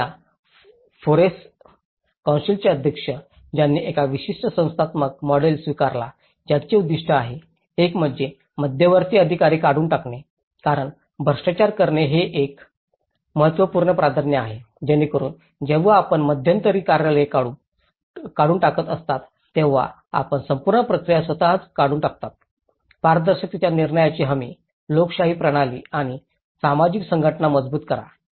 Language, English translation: Marathi, And, the president of this FOREC council, he adopted a certain institutional model which has an objectives, one is eliminate intermediate officers because corruption is an important priority so that when the moment you are eliminating the intermediate offices you are eliminating the whole procedure itself, guarantee the transparency the decisions, reinforce democratic systems and social organization